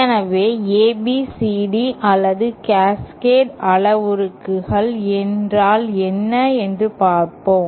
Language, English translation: Tamil, So, let us see what is ABCD or Cascade parameters